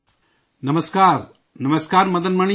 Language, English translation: Urdu, Namaskar… Namaskar Madan Mani ji